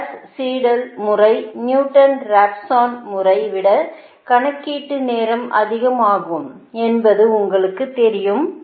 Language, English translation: Tamil, so although gauss seidel method is, you know it takes computational time is more than the newton raphson method